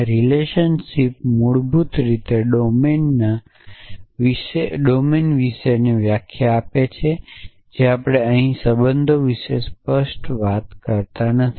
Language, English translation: Gujarati, And relation is basically define the about the domine we do not expressly talk about relations here